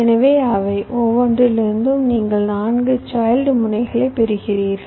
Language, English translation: Tamil, so from each of them you get four child nodes and so on